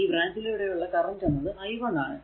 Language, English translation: Malayalam, And suppose current is flowing through this is i, right